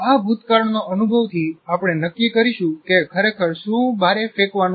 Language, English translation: Gujarati, This past experience will decide what exactly is the one that is to be thrown out